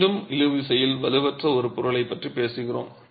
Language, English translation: Tamil, Again we are talking of a material which is not strong in tension